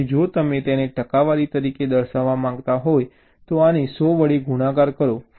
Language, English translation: Gujarati, so if you want to express it as a percentage, multiply this by hundred